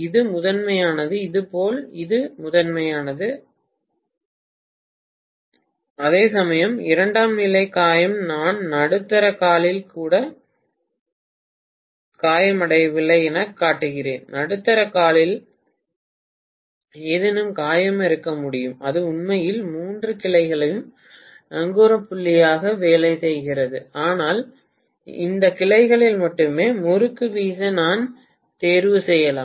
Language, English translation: Tamil, This is primary, similarly maybe this is primary, similarly this is primary, whereas secondary maybe wound, I am showing as though it is not even wound in the middle limb at all, I can still have something wound on the middle limb which is actually working as the anchor point for all the three branches but, I might choose to wind the winding only in these branches